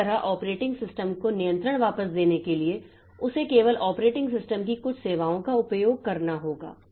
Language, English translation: Hindi, Similarly to give the control back to the operating system, it has to use some services of the operating system only